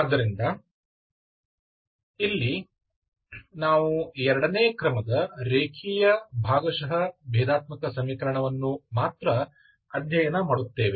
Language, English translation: Kannada, So in this we only study a linear partial differential equation of second order